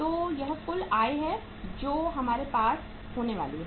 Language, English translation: Hindi, So this is the total income we are going to have